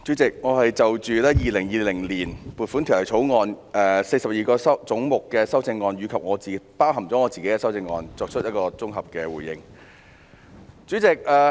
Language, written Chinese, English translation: Cantonese, 主席，我是就《2020年撥款條例草案》下42個總目的修正案——包括我提出的修正案——作綜合回應。, Chairman I am giving a consolidated response on the amendments in respect of 42 heads in the Appropriation Bill 2020 including the amendment proposed by me